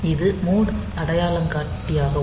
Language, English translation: Tamil, So, this is the mode identifier